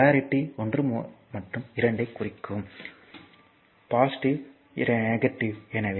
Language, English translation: Tamil, So, this is the polarity this is 1 and this is 2, 1 is positive, 2 is negative